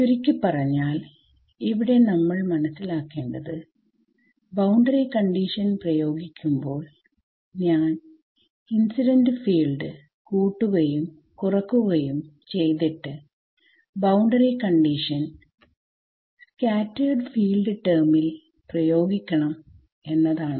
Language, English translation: Malayalam, To summarize the key thing to keep in mind here is that, in order to apply the boundary condition I had to add and subtract the incident field and apply the boundary condition only to the scattered field term